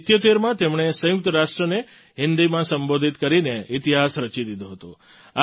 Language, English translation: Gujarati, In 1977, he made history by addressing the United Nations in Hindi